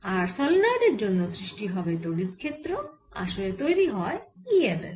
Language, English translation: Bengali, so here is a solenoid and so because of this solenoid electric field, e m f is produce